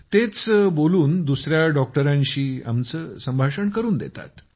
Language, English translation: Marathi, It talks to us and makes us talk to another doctor